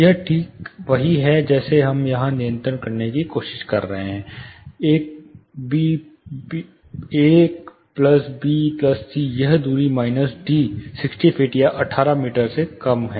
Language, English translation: Hindi, This is exactly we are trying to control here a plus b plus c this distance minus d is less than 60 feet, are 18 meters